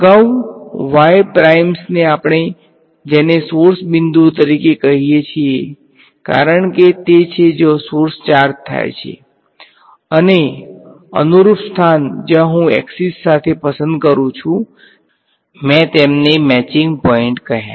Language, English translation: Gujarati, Previously the y primes we call them as source points because that is where the source charges and the corresponding place where I choose along the axis, I called them matching points